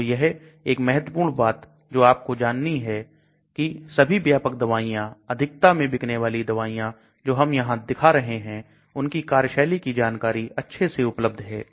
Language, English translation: Hindi, So one important thing you notice that all the commercial drugs, top selling drugs, which I am showing here the mechanism of action of these are well known